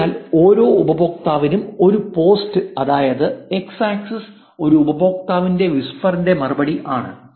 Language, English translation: Malayalam, So, a post per user, which is just the x axis is whispers and replies per user